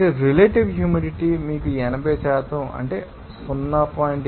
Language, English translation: Telugu, So, relative humidity is given to you that is 80% that means 0